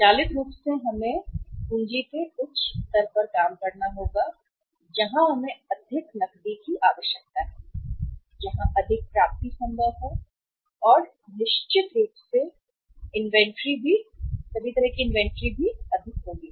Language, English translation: Hindi, Automatically the, we will have to work at the higher level of the working capital where we require more cash, where more receivables will come up and certainly more inventory of all kinds will be there